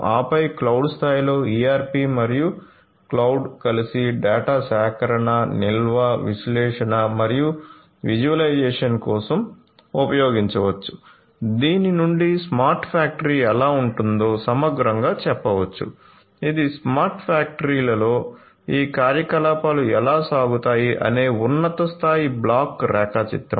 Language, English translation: Telugu, And then at the cloud level the ERP could be used ERP and cloud together could be used for data collection storage analysis and visualization, this is holistically how a smart factory looks like this is the high level block diagram of how these operations go on in a smart factory